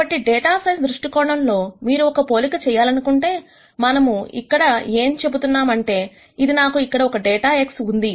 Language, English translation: Telugu, So, from the data science viewpoint if you want to make an analogy, what we are saying here is that, I have a data here X which is represented by this vector